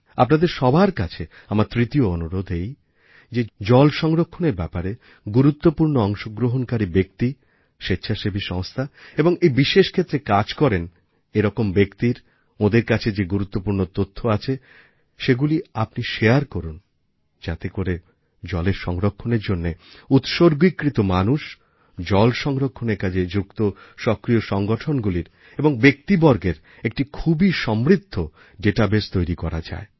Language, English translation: Bengali, My third request to all of you is that share the information concerning the people who are making significant contributions towards water conservation, NGOs and everyone else associated in the area of water conservation in order to create an intensive database of individuals and organizations dedicated to water preservation